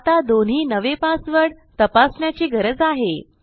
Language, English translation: Marathi, So from here on we can check our passwords